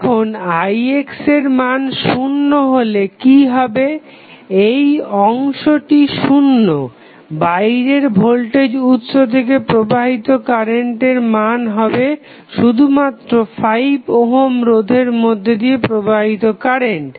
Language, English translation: Bengali, Now, what happens when Ix is equal to 0, you have this component 0, the current which is flowing from external voltage supply V naught would be only through the 5 ohm resistance